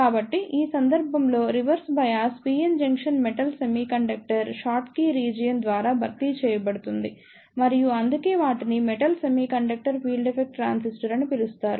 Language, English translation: Telugu, So, in this case the reverse bias PN junction is replaced by the metal semiconductor short key region and that is why they are known as Metal Semiconductor Field Effect Transistor